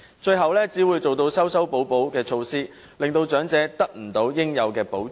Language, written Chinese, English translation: Cantonese, 最後只會推行修修補補的措施，令長者未能得到應有的保障。, Eventually only some piecemeal and stopgap measures will be introduced while the elderly will fail to receive the protection to which they are entitled